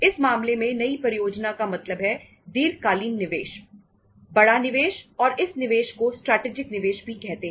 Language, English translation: Hindi, Now in this case, new project means a long term investment, big investment and this investment is also called as strategic investment